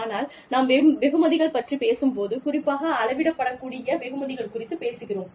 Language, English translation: Tamil, But, when we talk about rewards, specifically, we are talking about rewards, that can be measured